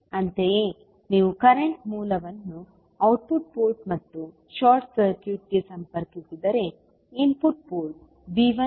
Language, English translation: Kannada, Similarly, if you connect current source at the output port and the short circuit the input port so V 1 will become 0 now